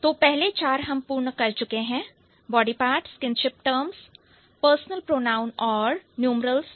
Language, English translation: Hindi, So, we are done with the four, first four, body parts, kinship terms, personal pronoun and numerals